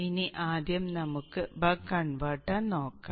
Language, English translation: Malayalam, Now first let us look at the buck converter